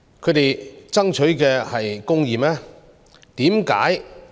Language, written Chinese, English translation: Cantonese, 他們爭取的是公義嗎？, Are they truly fighting for justice?